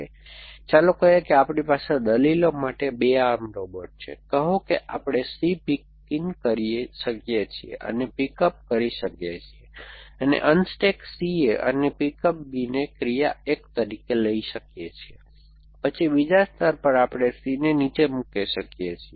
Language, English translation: Gujarati, So, let say we have 2 arm robot for arguments, say we can pick up C in and pick and pick up and pick up the unstack C A and pick up B in as action 1, then at the second layer we can put down C and also no